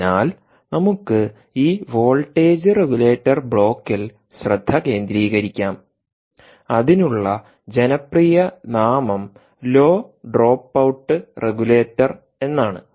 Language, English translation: Malayalam, ok, so let us concentrate on this voltage regulator block, and the popular name for that, indeed, is the low drop out regulator